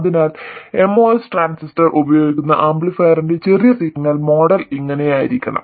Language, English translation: Malayalam, So, this is what the small signal model of the amplifier using the MOS transistor should look like